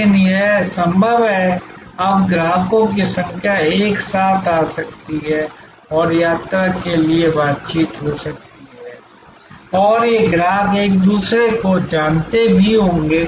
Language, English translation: Hindi, But, it is possible now for number of customers can come together and negotiate for a trip and these customers may not even have known each other